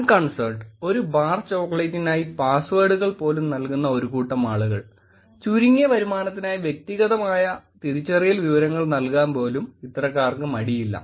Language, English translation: Malayalam, Unconcerned, the set of people who probably will give away the passwords for a bar chocolate, will give away the personal identified information also for some minimal returns